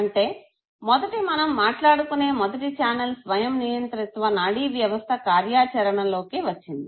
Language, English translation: Telugu, So the first channel that we were talking about once the autonomic nervous system is put into action